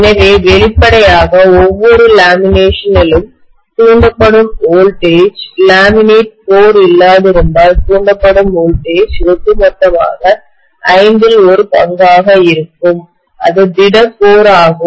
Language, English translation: Tamil, So obviously, the voltage induced in each of the lamination will be one fifth of the overall voltage induced it would have been induced if there had not been laminated core, if it had been a solid core